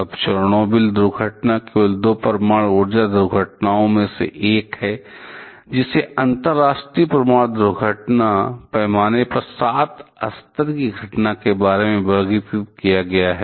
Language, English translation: Hindi, Now, Chernobyl accident is only one of the two nuclear energy accident classified as a level 7 event on the International Nuclear Event Scale